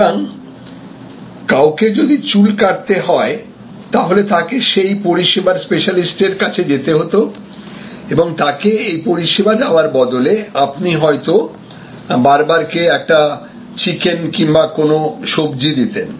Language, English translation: Bengali, So, if somebody wanted a haircut, then he will go to the specialized service provider, the barber and in exchange of that service he would possibly give that person a chicken or may be some vegetables or so on